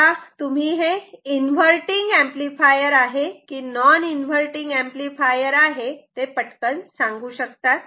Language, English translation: Marathi, Now, let us go to say, inverting and non inverting amplifiers, quickly